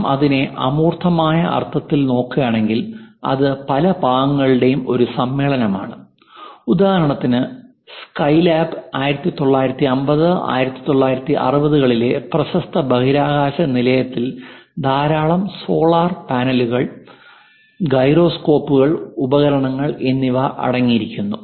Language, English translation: Malayalam, If we are looking at that in abstract sense, it contains assembly of many parts for example, the SkyLab the 1950s, 1960s famous space station contains many solar panels, gyroscopes and instruments